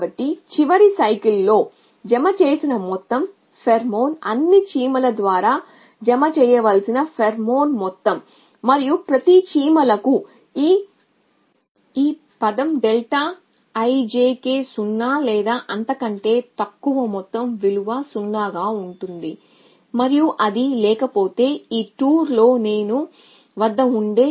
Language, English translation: Telugu, So, the total pherom1 deposited in the last cycle is the sum of the pheromone to deposited by all the ants and for each ants this term delta tau i j k would be either 0 or little be sum value it to be 0 if that and does not have this i j h in h 2 an it to non zero if it is it has i at in this 2